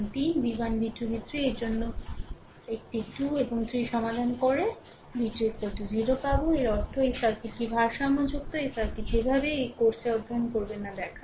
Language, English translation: Bengali, You solved one 2 and 3 for v 1 v 2 v 3 you will get v 2 is equal to 0, this means this circuit is balanced this circuit anyhow will show will not study in this course right